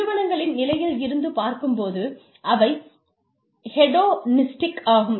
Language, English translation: Tamil, Organizations, when considered as individual entities, are also hedonistic